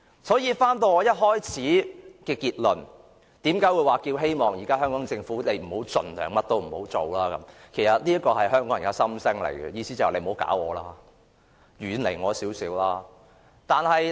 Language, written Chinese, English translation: Cantonese, 所以，返回我一開始說的結論，為何我建議政府現時盡量甚麼都不要做，這是香港人的心聲，意思便是："你不要搞我，遠離我一點吧！, So back to the conclusion I mentioned at the outset why did I suggest that the Government should not do anything at the moment? . This is the heartfelt wish of Hong Kong people the implied meaning is just leave us alone and stay away from us